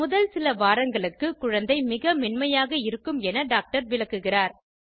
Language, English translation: Tamil, The doctor explains that during the first few weeks, the baby is very delicate